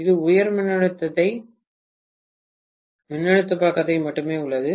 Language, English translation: Tamil, That is only present in the high voltage side